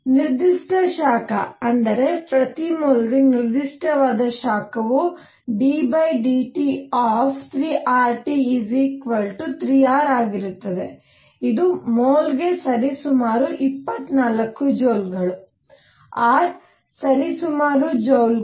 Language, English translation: Kannada, And therefore, specific heat; that means, specific heat per mole is going to be 3 R T d by d T equals 3 R which is roughly 24 joules per mole, R is roughly a joules